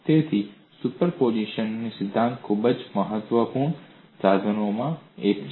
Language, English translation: Gujarati, So principle of superposition is one of the very important tools